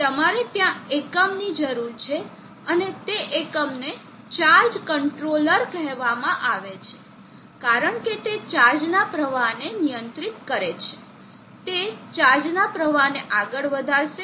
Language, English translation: Gujarati, So you need a unit there and that unit is called the charge controller, because it controls the flow of charge and controls this, it steers the flow of charge